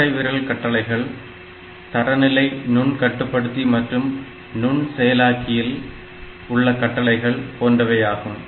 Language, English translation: Tamil, Thumb instructions are more close to the standard microcontroller and microprocessor instructions that we are familiar with